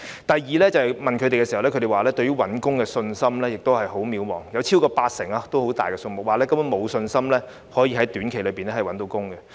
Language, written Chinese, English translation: Cantonese, 第二，受訪者表示對找到工作的信心十分渺茫，超過八成——數目相當大——受訪者表示根本沒有信心能夠在短期內找到工作。, Second the interviewees said that they had little confidence in finding a job and over 80 % ―a very large percentage―of the interviewees said that they basically had no confidence in landing a job in a short time